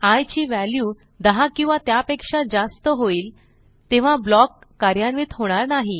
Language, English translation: Marathi, That means when i becomes more than or equal to 10, the block is not executed